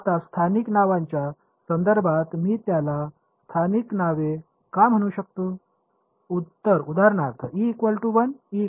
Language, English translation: Marathi, Now, in terms of local names what can I call it local names